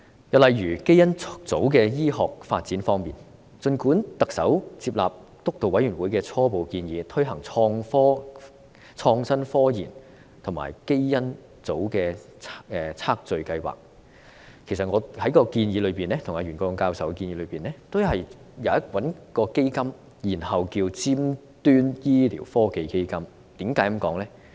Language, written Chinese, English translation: Cantonese, 又例如基因重組的醫學發展方面，儘管特首接納督導委員會的初步建議，推行創新科研和基因組的測序計劃，其實在我與袁國勇教授的建議中主張設立一個基金，稱之為尖端醫療科技基金，原因為何？, Let us take the role of genetic recombination in the medical development as another example . Despite the fact that the Chief Executive has accepted the preliminary recommendations of the Steering Committee to promote innovative scientific research and conduct a genome sequencing project the proposal put forward by Prof YUEN Kwok - yung and me have in fact advocated the establishment of a fund called Cutting - edge Medical Technology Fund . Why?